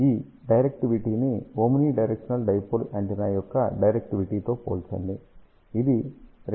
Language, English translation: Telugu, Compare this directivity with the directivity of omni directional dipole antenna which is only 1